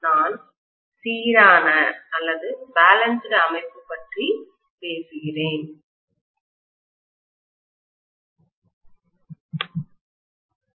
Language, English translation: Tamil, I am talking about balanced system